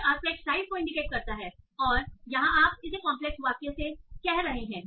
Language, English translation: Hindi, So it is indicating the aspect size and that you are saying by some complex centers